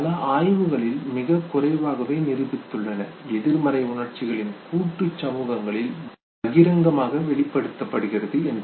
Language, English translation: Tamil, Several studies have demonstrated that very little know, negative emotions are publicly expressed in collectivist societies okay